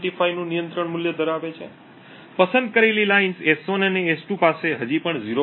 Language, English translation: Gujarati, 25, the select lines S1 and S2 have still have a control value of 0